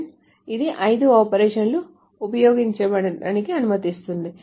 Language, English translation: Telugu, So five operations are allowed to be used